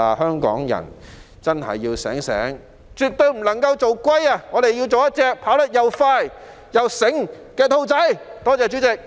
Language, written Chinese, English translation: Cantonese, 香港人真的要清醒，絕對不能做龜，我們要做一隻跑得又快又醒目的兔子。, Hong Kong people really have to be sober . Hong Kong can definitely not be a tortoise but has to be a fast - running and smart hare